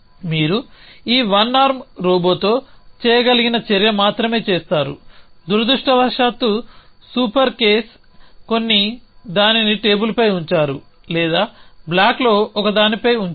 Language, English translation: Telugu, So, you do only action you can do with this one arm robo unfortunately super case some were either put it on the table or put it on the one of the block